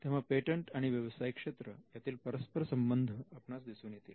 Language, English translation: Marathi, So, you will be able to see the connect between patenting as a business activity